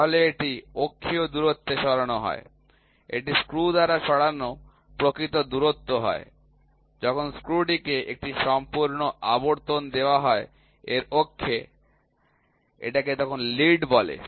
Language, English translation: Bengali, So, it is the axial distance moved it is the actual distance moved by the screw, when the screw is given one complete revolution about it is axis is called the lead